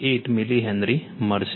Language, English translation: Gujarati, 58 milli Henry